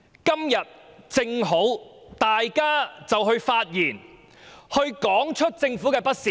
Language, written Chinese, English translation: Cantonese, 今天正好讓大家發言，指出政府的不是。, Today we happen to have the opportunity to speak and point out the faults of the Government